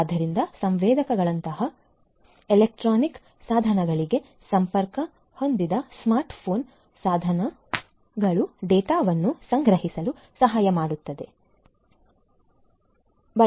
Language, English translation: Kannada, So, smart phone devices connected to electronic devices such as sensors can help in collecting the data of the patients